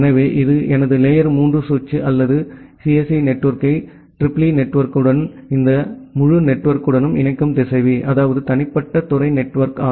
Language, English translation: Tamil, So, this is my layer 3 switch or the router which is connecting the CSE network with the EEE network and this entire network that means, the individual departmental network